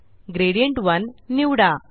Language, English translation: Marathi, Now select Gradient1